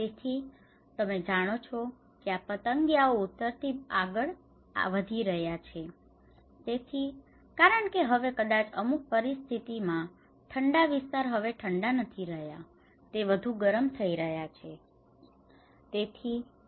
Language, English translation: Gujarati, So, now these butterflies you know it is heading from north so, maybe certain conditions are now in the colder areas are no more cold now, they are getting warmer